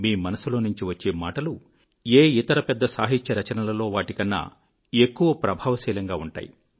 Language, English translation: Telugu, Emotions that emanate from the core of your heart will be more compelling than any great literary composition